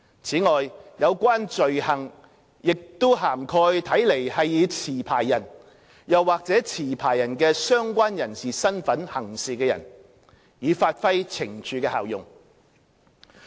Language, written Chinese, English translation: Cantonese, 此外，有關罪行也涵蓋看來是以持牌人或持牌人的相關人士身份行事的人，以發揮懲處的效用。, In addition the offence also covers a person purporting to act as a licensee or an associate of a licensee so as to ensure the effectiveness of the sanction